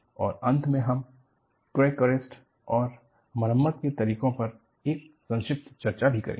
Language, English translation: Hindi, And, finally we will also have a brief discussion on Crack Arrest and Repair Methodologies